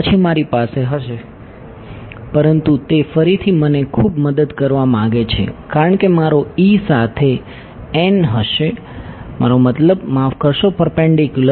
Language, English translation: Gujarati, Then I will have, but that again want help me very much because my E will be along the n hat I mean sorry perpendicular to n hat